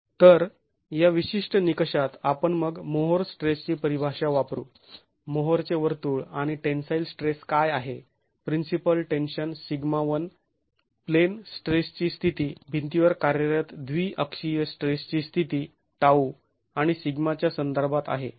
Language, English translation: Marathi, So, in this particular criterion, we can then use the more stress definition, the more circle and define what the tensile stress, the principal tension sigma 1 is with respect to the state of plane stress, the biaxial state of stress, tau and sigma acting on the wall